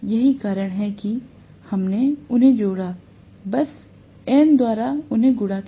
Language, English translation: Hindi, That is why we added them, simply multiplied them by N